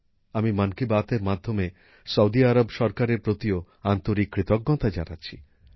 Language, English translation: Bengali, Through Mann Ki Baat, I also express my heartfelt gratitude to the Government of Saudi Arabia